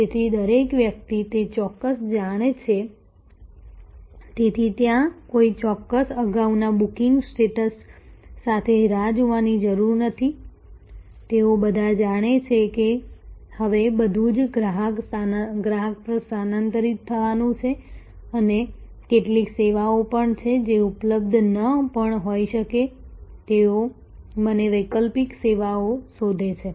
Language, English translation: Gujarati, So, everybody knows that particular, so there not waiting with a particular earlier booking status they all know, that now everything is to shift on the customer also interaction knows the some of the services therefore, may not be available, they me look for alternative services and so on